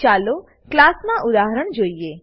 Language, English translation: Gujarati, Let us look at an example of a class